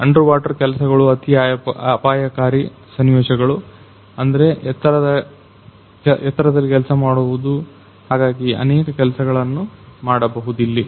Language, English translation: Kannada, Underwater works, high hazardous situation I think that situation in working at height right, so many things can be done here